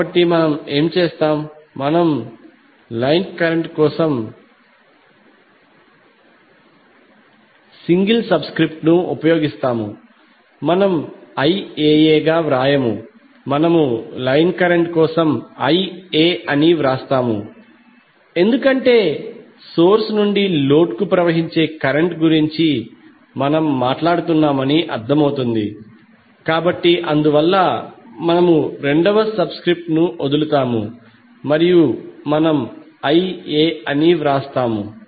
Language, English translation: Telugu, So what we will do we will use single subscript for line current we will not write as IAA we will simply write as IA for the line current because it is understood that we are talking about the current which is flowing from source to load, so that is why we drop the second subscript and we simply write as IA